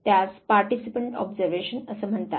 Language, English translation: Marathi, This is called participant observation